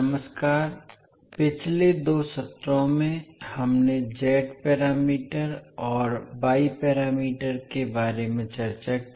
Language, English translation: Hindi, Namaskar, in last two sessions we discussed about the z parameters and y parameters